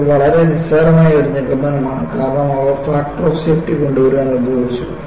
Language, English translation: Malayalam, And this is too trivial conclusion, because they were used to bring in a factor of safety